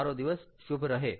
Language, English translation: Gujarati, have a great day